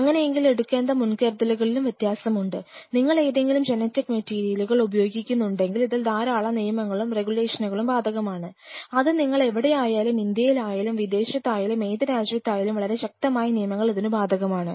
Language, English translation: Malayalam, So, that demands different level of precautions which has to be taken, because the very moment you are handling with the DNA material or any kind of genetic material there are certain rules and regulation or the law of the land wherever you go, whether you were in India whether you are abroad any country, every chronic country has very stringent rules extremely stringent